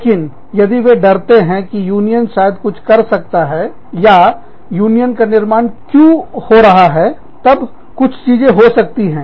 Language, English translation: Hindi, But, if they are scared of, what the union may do, or, why the union is being formed